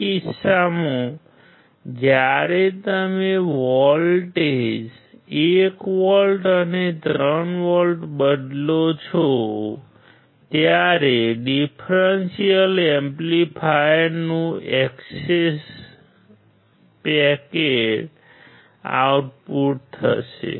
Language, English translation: Gujarati, In this case when you change the voltages 1 volt and 3 volt, what is the expected output of the differential amplifier